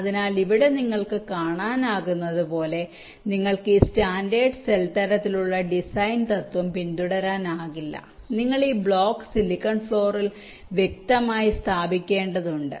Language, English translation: Malayalam, so here, as you can see, if here you cannot follow this standard cell kind of design principle, left to place this block individually on the silicon floor, so after placing will have to interconnect them in a suitable way